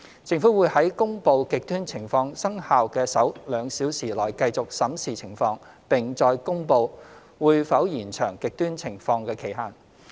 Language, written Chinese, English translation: Cantonese, 政府會在公布"極端情況"生效的首兩小時內繼續審視情況，並再公布會否延長"極端情況"的期限。, During the first two - hour period when extreme conditions are in force the Government will continue to review the situation and further make an announcement as to whether the period of extreme conditions will be extended